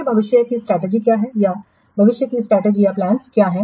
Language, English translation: Hindi, Then what is the future strategy or what are the future strategies plans